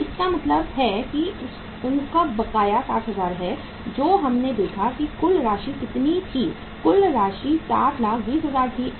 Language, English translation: Hindi, So it means their outstanding 60,000 is so total we have seen is that is the total amount was how much total amount was say 720,000